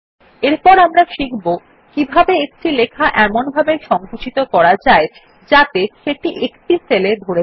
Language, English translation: Bengali, Next we will learn how to shrink text to fit into the cell